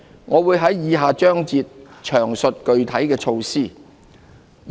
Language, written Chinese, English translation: Cantonese, 我會在以下章節詳述具體措施。, I will provide details in the ensuing parts of my speech